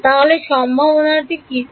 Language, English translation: Bengali, What are the possibilities